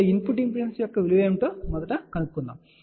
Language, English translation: Telugu, So, let us first calculate what will be this value of the input impedance